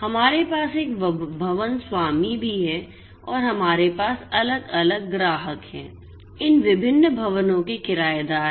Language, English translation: Hindi, We also have a building owner and we have different customers, tenants of these different buildings